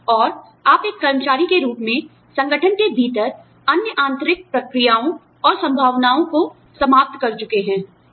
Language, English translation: Hindi, And, you as an employee, have exhausted other internal procedures and possibilities, within the organization